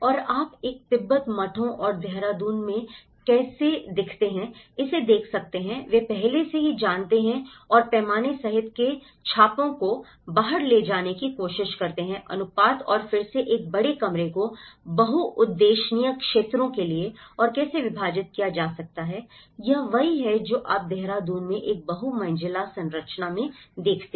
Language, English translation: Hindi, And what you can see in a Tibet, the monasteries and how it is reflected in the Dehradun and they try to carry out the impressions of what already they know and including the scale, the proportions and again how a big room could be divided for a multi purpose areas and how this is what you see in a multi storey structures in Dehradun as well